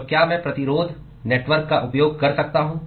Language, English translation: Hindi, So, can I use the resistance network